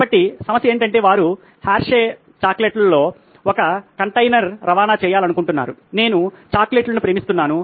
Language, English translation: Telugu, So what the problem was simply that they wanted to transport say a container of Hershey’s chocolates like this, I love chocolates by the way